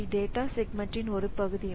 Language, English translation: Tamil, So, they can be the part of the data segment